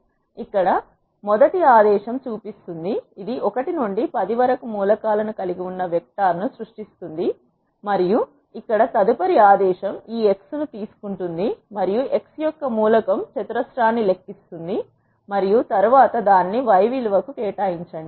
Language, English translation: Telugu, The first command here shows, it is creating a vector which is having the elements from 1 to 10, and the next command here takes this x and calculates the element wise square of the x and then assign it to value y